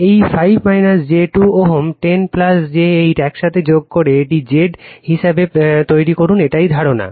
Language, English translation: Bengali, This 5 minus j 2 ohm, 10 plus j 8 you add together make it as a Z star right that is the idea